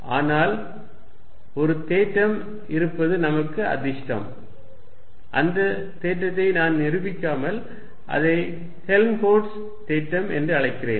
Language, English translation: Tamil, But, we are fortunate there is a theorem and I am going to say without proving it the theorem called Helmholtz's theorem